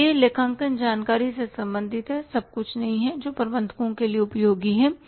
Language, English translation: Hindi, So, it is concerned with accounting information that is useful to managers, not everything